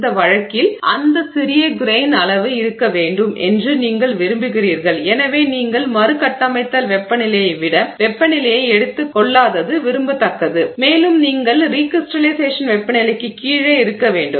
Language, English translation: Tamil, In this case you want that small grain size to remain and therefore it is desirable that you don't take the temperature above the recrystallization temperature and you stay below the recrystallization temperature